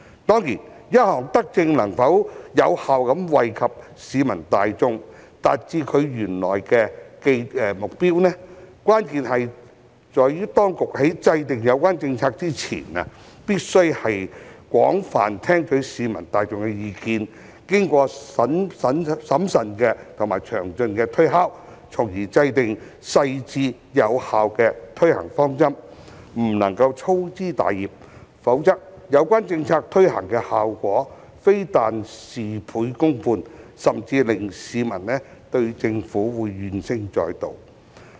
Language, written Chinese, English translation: Cantonese, 當然，一項德政能否有效惠及市民大眾，達致原來的目標，關鍵在於當局在制訂有關政策前，必須廣泛聽取市民大眾的意見，並經過審慎及詳盡的推敲，從而制訂細緻、有效的推行方針，不能粗枝大葉，否則有關政策的效果非但事倍功半，甚至會令市民對政府怨聲載道。, Of course for any benevolent policy to effectively benefit the general public and achieve its intended goal it is essential for the authorities to gauge the views of the general public extensively before its formulation . It has to go through prudent and detailed deliberations before a thorough and effective implementation approach can be mapped out . There should be no room for slapdash work